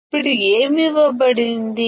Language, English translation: Telugu, Now, what is given